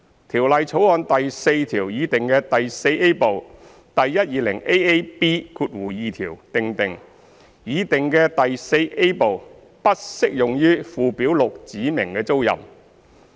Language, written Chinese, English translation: Cantonese, 《條例草案》第4條擬訂的第 IVA 部第 120AAB2 條訂定，擬訂的第 IVA 部不適用於附表6指明的租賃。, The proposed section 120AAB2 in the proposed Part IVA of clause 4 of the Bill provides that the proposed Part IVA does not apply to the tenancies specified in Schedule 6